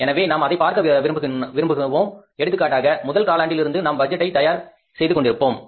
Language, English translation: Tamil, So, we like to see that for example if it is a quarterly budgeting system, so we can say for example we are preparing the budget for the first quarter